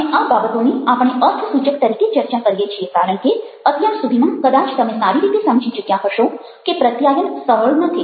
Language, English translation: Gujarati, and these are things which we will discuss as significant, because by now, probably, you have already realized that communication is not simple